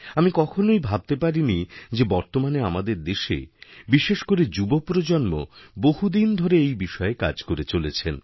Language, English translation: Bengali, I had never even imagined that in our country especially the young generation has been doing this kind of work from a long time